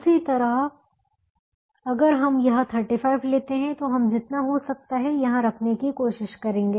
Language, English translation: Hindi, in the same manner, if we take this thirty five, we would try to put as much as we can here and so on